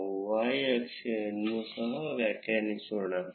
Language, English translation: Kannada, Let us define the y axis as well